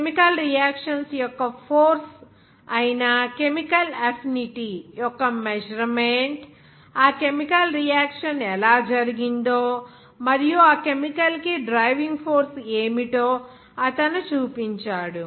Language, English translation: Telugu, And he also showed that the measure of chemical affinity that is ‘force’ of chemical reactions, how that chemical reaction is happened, and based on what is the driving force for that chemical reaction